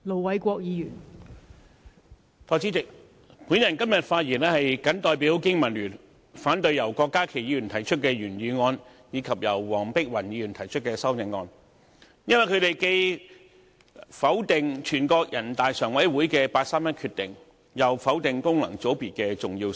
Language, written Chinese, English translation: Cantonese, 代理主席，我今天謹代表香港經濟民生聯盟發言，反對由郭家麒議員提出的原議案，以及由黃碧雲議員提出的修正案。因為，他們既否定人大常委會的八三一決定，又否定功能界別的重要性。, Deputy President I speak on behalf of the Business and Professionals Alliance for Hong Kong BPA today against the original motion moved by Dr KWOK Ka - ki and the amendment moved by Dr Helena WONG as both movers refuse to respect the 31 August Decision nor recognize the importance of functional constituency